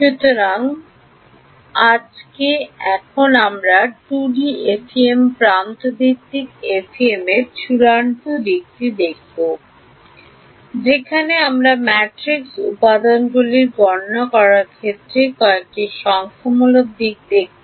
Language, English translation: Bengali, So, today so now we will look at the final aspect of the 2D FEM edge based FEM, where we will look at some of the numerical aspects that go into calculating the matrix elements